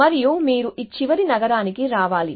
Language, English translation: Telugu, And you have to come to this last city here